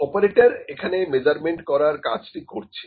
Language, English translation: Bengali, This is actually the operator who is doing the measurements